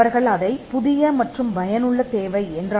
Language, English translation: Tamil, They used to call it the new and useful requirement